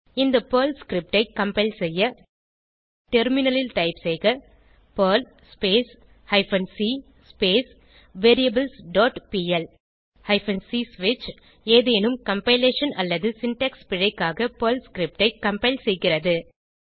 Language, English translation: Tamil, To compile this Perl script, on the Terminal typeperl hyphen c variables dot pl Hyphen c switch compiles the Perl script for any compilation/syntax error